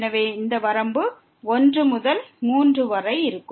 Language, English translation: Tamil, So, this limit will be 1 by 3